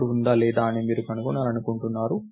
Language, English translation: Telugu, You want to find if a Node is there or not